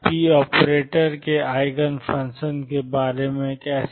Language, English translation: Hindi, How about Eigen function of p operator